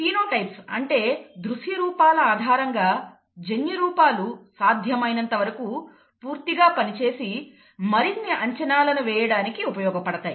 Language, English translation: Telugu, So based on the phenotypes the characters the observable characters, the genotypes are worked out as completely as possible and used to make further predictions, okay